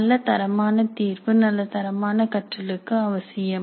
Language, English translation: Tamil, A good quality assessment is essential to ensure good quality learning